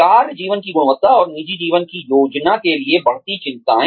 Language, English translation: Hindi, Rising concerns for, quality of work life, and for personal life planning